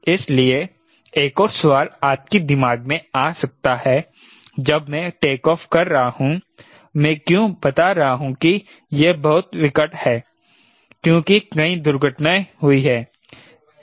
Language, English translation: Hindi, so another question may come to your mind when i am taking off: why i am telling that is very critical